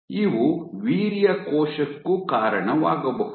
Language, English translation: Kannada, These can also give rise to your sperm cell